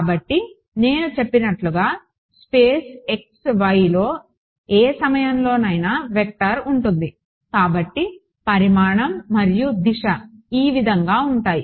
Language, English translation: Telugu, So, as I said at any point in space x y there will be a vector so, therefore, a magnitude and a direction ok